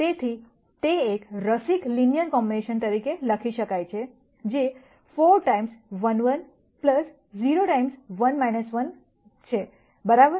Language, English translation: Gujarati, So, that can be written as an interest ing linear combination, which is 4 times 1 1 plus 0 times 1 minus 1 right